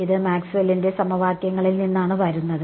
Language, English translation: Malayalam, This is just coming from Maxwell’s equations right